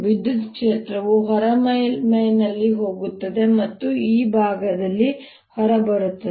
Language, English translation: Kannada, the electric field is going in on the outer surface right and coming out on this side